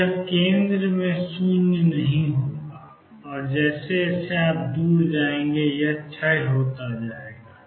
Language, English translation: Hindi, So, it is going to be nonzero at the center and will decay as you go far away